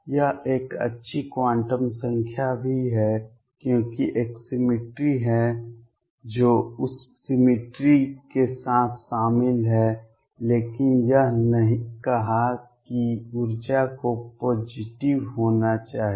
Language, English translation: Hindi, It is also a good quantum number because there is a symmetry it is involved with that symmetry, but it did not say that energy has to be positive